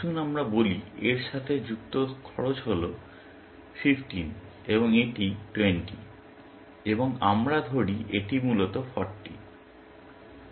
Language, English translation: Bengali, Let us say the cost associated with this is 15, and this is 20, and let us say this is 40, essentially